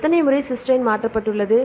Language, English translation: Tamil, And how many times right; Cysteine is mutated to